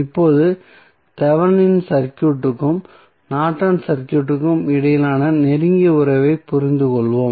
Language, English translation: Tamil, Now, let us understand the close relationship between Thevenin circuit and Norton's circuit